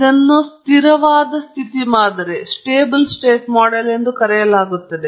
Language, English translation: Kannada, This is called a steady state model